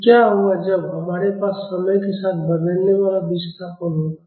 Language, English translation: Hindi, So, what will happen when we have a time varying displacement